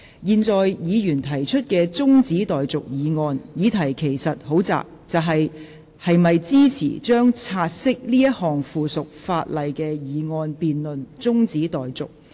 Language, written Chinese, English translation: Cantonese, 現在議員提出的中止待續議案，議題其實很窄，就是：是否支持將察悉這項附屬法例的議案辯論中止待續。, The subject of this adjournment motion moved by the Member is actually very narrow in scope and that is whether to support adjourning the debate on the motion to take note of the subsidiary legislation in question